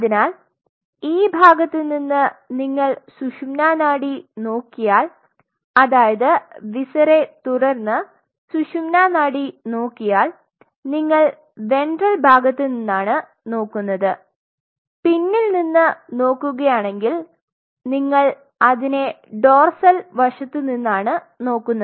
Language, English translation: Malayalam, So, if you look at the spinal cord from this side you open the viscera and look at the spinal cord you will be looking at the spinal cord from the ventral side whereas, if you look it from the back you will look it from the dorsal side ok